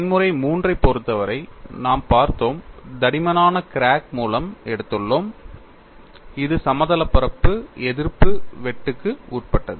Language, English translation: Tamil, In the case of mode 3, we have looked at, we have taken a through the thickness crack and it is subjected to anti plane shear